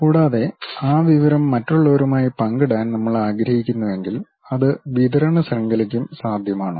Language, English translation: Malayalam, And, further if we want to share that information with others that can be also possible for the supply chain